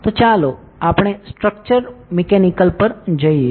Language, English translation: Gujarati, So, let us go to structural mechanics